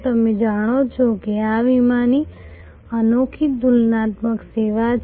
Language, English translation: Gujarati, You know this is a unique comparative service of insurance